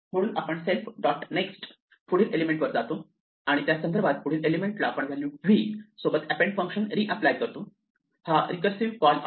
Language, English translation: Marathi, So, we go that next element self dot next and with respect to that next element we reapply the append function with the value v, this is the recursive call